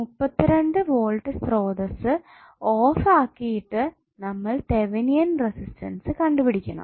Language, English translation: Malayalam, We find the Thevenin resistance by turning off the 32 volt source